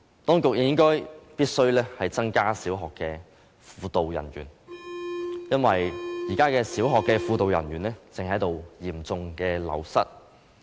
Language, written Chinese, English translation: Cantonese, 當局亦必須增加小學輔導人員，因為這些人員正嚴重流失。, The authorities should also increase the number of primary school guidance personnel because the wastage rate is very high